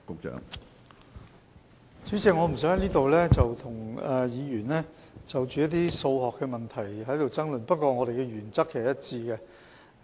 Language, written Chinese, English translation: Cantonese, 主席，我不想在此與議員就一些數學問題爭論，但我們的原則是一致的。, President I do not wish to argue with Members over some arithmetic questions here . But our principle remains the same